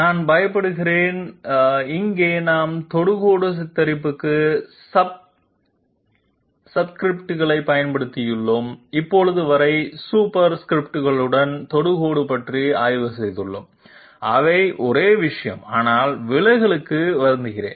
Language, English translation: Tamil, I am afraid, here we have used subscripts for the tangent depiction while we have up till now studied about tangent with superscripts, they are the very same thing but I sorry for the deviation